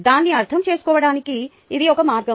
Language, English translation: Telugu, thats one way to understand it